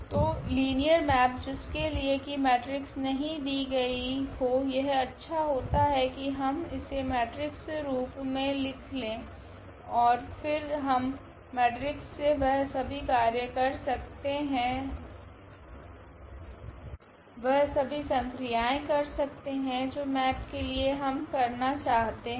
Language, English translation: Hindi, So, in speed of working with linear map which is not given in the in the form of the matrix it is better to have a matrix form and then we can work with the matrix we can do all operations whatever we want on this map with this matrix here A